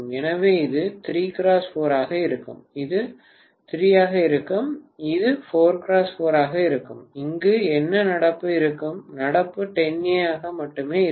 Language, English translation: Tamil, So it will be 3 multiplied by 4 and this will be 3, this will be 4 multiplied by 4 and what will be the current here, current will be only 10 ampere, right